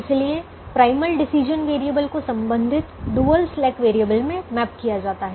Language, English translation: Hindi, so primal decision variable is mapped to the corresponding dual slack variable